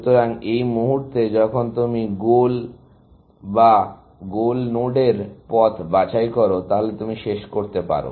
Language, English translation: Bengali, So, at the moment, when you pick the goal node or the path to the goal node, you can terminate